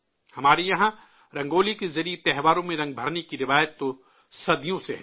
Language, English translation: Urdu, For centuries, we have had a tradition of lending colours to festivals through Rangoli